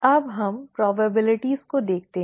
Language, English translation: Hindi, Now let us look at probabilities